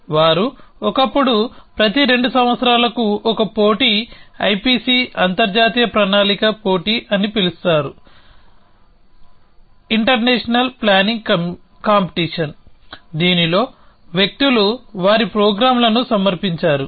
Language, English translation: Telugu, They used to be, there is every 2 years a competition call I P C international planning competition, in which people submit their programs